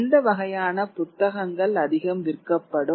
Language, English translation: Tamil, What kind of books will sell the most